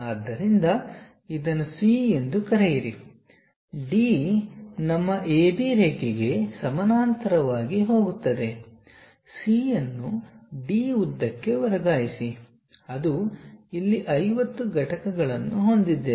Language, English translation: Kannada, So, call this one C then from C, D goes parallel to our A B line, transfer C to D length, which is 50 units here